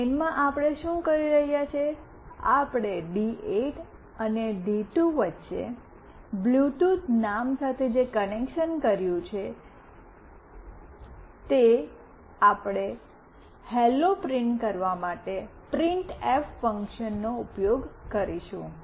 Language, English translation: Gujarati, In main what we are doing, the connection which we have made with the name Bluetooth between D8 and D2, we will use printf to print “Hello”